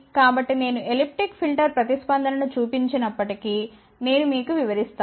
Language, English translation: Telugu, So, elliptic filter even though I have not shown the response, but let me explain you